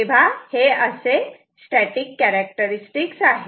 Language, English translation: Marathi, So, this is a static characteristic ok